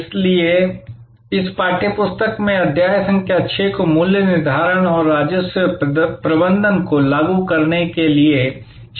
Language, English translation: Hindi, So, chapter number 6 in this text book is titled as setting price and implementing revenue management